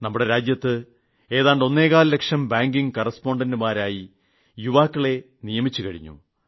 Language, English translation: Malayalam, 25 lakh young people have been recruited as banking correspondents